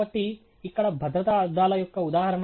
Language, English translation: Telugu, So, here is an example of a safety glass